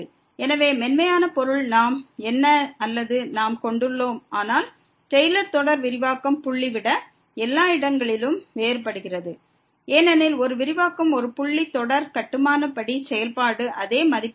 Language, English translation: Tamil, So, smooth means we have the derivatives of whatever or we lie, but the Taylor series diverges everywhere rather than the point of expansion, because a point of a expansion the series will have the value same as the function as per the construction so